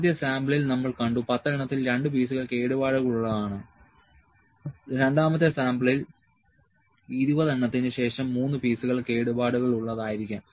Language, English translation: Malayalam, We have seen that in first sample 2 pieces are defective out of 10, in the second sample may be 3 pieces are defected after 20